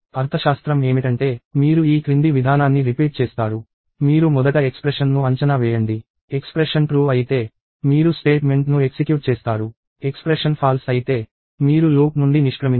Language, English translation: Telugu, The semantics is that, you repeat this following process; you evaluate the expression first; if the expression is true, then you execute the statement; if the expression is false, you exit the loop